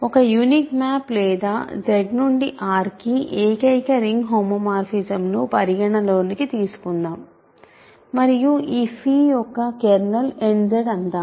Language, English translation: Telugu, So, consider the unique map or the unique ring homomorphism from Z to R and let kernel of this phi be n Z